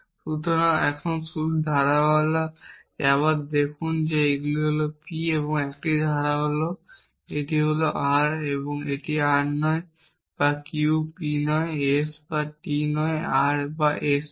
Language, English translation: Bengali, So, just write the clauses again now this is P this is 1 clause this is R this is not R or Q not P or not S or T not R or S